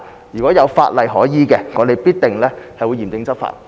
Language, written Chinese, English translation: Cantonese, 如果有法例可依，我們必定會嚴正執法。, If there is legislation that we can invoke we will definitely take stringent enforcement actions